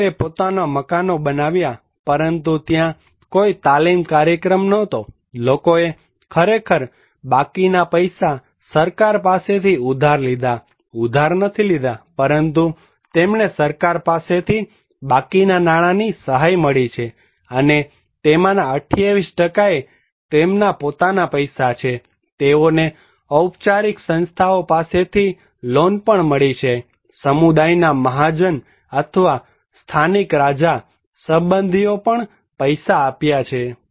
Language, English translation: Gujarati, People build their own house but there was no training program, people actually borrowed money from the government rest of the money; not borrowed but they got the assistance from the government and the rest of the money they provided, and source of money 28% is the own money, they receive the loan from formal institution also, the community Mahajan's or own local Kings, relatives they provide money